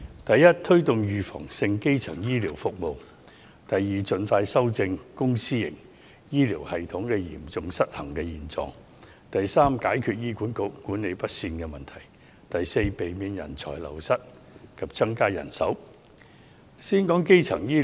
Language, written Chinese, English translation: Cantonese, 第一，推動預防性基層醫療服務；第二，盡快修正公私營醫療系統嚴重失衡的現狀；第三，解決醫院管理局管理不善的問題；第四，避免人才流失及增加人手。, Secondly the current situation of severe imbalance between the public and private healthcare systems should be rectified as soon as possible . Thirdly the mismanagement of the Hospital Authority HA should be redressed . Fourthly brain drain should be avoided and manpower should be increased